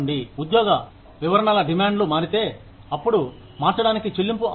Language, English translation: Telugu, If the demands of the job descriptions changes, then the pay will change